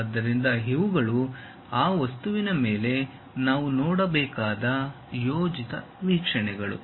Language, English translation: Kannada, So, projected views we have to really see on that object